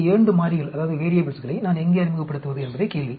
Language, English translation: Tamil, The question is where do I introduce these 2 variables